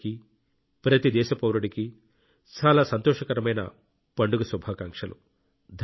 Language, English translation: Telugu, Wishing you all, every countryman the best for the fortcoming festivals